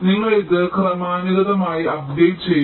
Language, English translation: Malayalam, you just incrementally update it